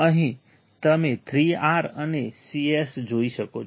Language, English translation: Gujarati, Here you can see 3 R and Cs right